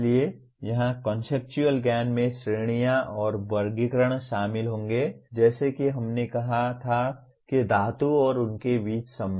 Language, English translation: Hindi, So here conceptual knowledge will include categories and classifications like we said metals and the relationship between and among them